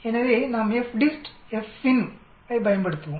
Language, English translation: Tamil, So let us use FDIST, FINV